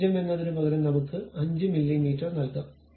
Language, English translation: Malayalam, Instead of 0, let us give 5 mm